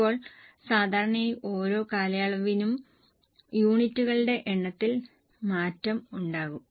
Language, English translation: Malayalam, Now normally there will be change in the number of units from period to period